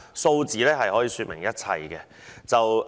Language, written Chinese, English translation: Cantonese, 數字可以說明一切。, Statistics can explain everything